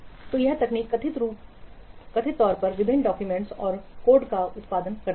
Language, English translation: Hindi, So this technique reportedly produces various documents and code